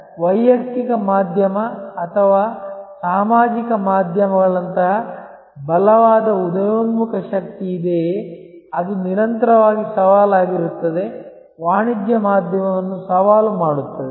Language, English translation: Kannada, So, whether there is a strong emerging force like the personal media or social media, which is constantly challenge, challenging the commercial media